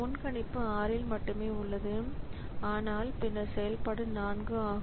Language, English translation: Tamil, So, prediction remains at 6 only but then the execution is 4